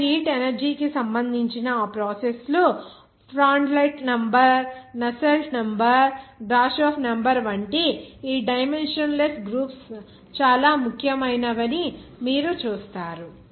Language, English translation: Telugu, Those processes related to the heat energy there also you will see that these dimensionless groups like Prandtl number Nusselt number Grashof number are very important